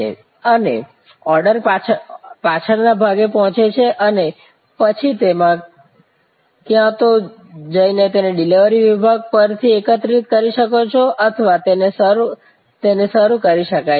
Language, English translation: Gujarati, And the order reaches the backend and then you can either go and collect it from the delivery counter or it can be served